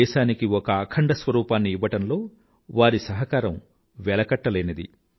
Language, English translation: Telugu, His contribution in giving a unified texture to the nation is without parallel